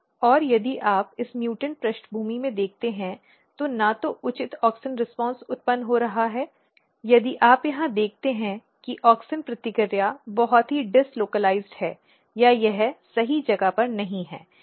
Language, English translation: Hindi, And if you look in this mutant background neither proper auxin response are being generated if you look here auxin response is very dis localized or it is not at the right place